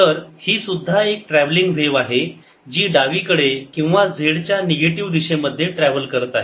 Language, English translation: Marathi, so this is also a travelling wave which is travelling to the left or to the negative z direction